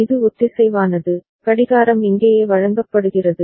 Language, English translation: Tamil, And it is synchronous the clock is fed here right